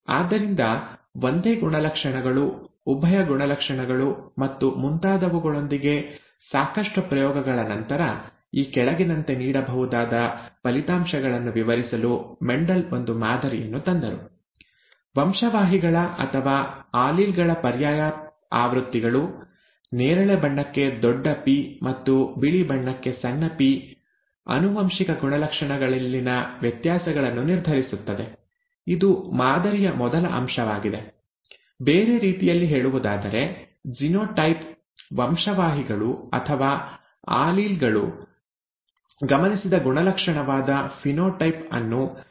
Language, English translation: Kannada, So after a lot of experiments with a lot of single characteristics, dual characteristics and so on so forth, Mendel came up with a model to explain the results which can be given as follows: alternative versions of genes or alleles, say capital P for purple and small p for white determine the variations in inherited characters, this is the first aspect of the model; in other words the genotype, genes or alleles determine the phenotype which is the observed character